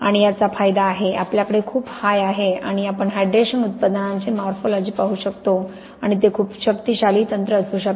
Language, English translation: Marathi, And this has the advantage, we have very high resolution and we can see the morphology of hydration products and there can be very powerful techniques